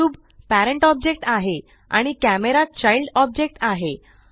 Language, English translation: Marathi, The cube is the parent object and the camera is the child object